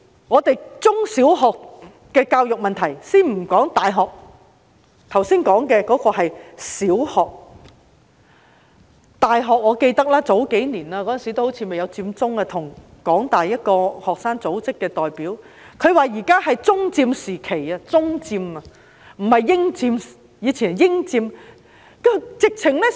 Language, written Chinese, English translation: Cantonese, 就着中小學的教育問題——先不說大學，剛才說的是小學——我記得數年前，當時好像還未發生佔中事件，我跟香港大學一個學生組織的代表傾談，他說現在是"中佔"時期，是"中佔"，不是"英佔"，以前則是"英佔"。, I recall that a few years ago at a time when the Occupy Central probably had not yet taken place I chatted with a representative of a student association of the University of Hong Kong . He said that it was the era of Chinese occupation . He said that it was Chinese occupation and no longer British occupation and that British occupation was of the past